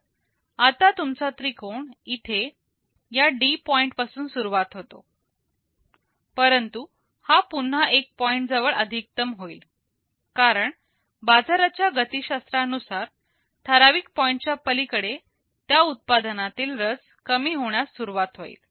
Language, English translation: Marathi, So, now, your triangle starts from here at this point D, but it will again reach the peak at the same point because depending on market dynamics beyond a certain point interest in that product will start to go down